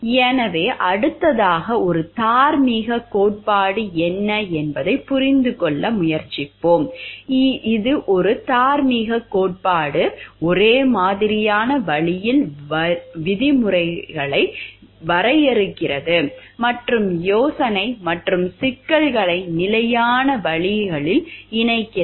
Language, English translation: Tamil, So, next we try to understand what is a moral theory; a moral theory defines terms in uniform ways and links idea and problems together in consistent ways